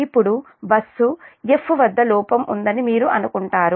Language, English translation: Telugu, now you assume that there is a fault at bus f